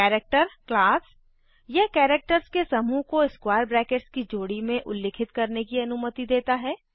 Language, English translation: Hindi, It allows us to specify a group of characters within a pair of square brackets